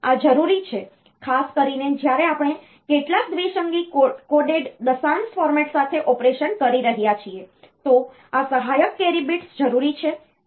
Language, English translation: Gujarati, So, this is many, many a time this is necessary particularly when we are doing operation with some binary coded decimal format, then this auxiliary carry bit is necessary